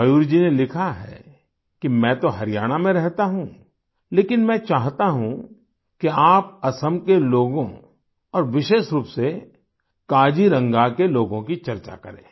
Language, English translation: Hindi, Mayur ji has written that while he lives in Haryana, he wishes us to touch upon the people of Assam, and in particular, the people of Kaziranga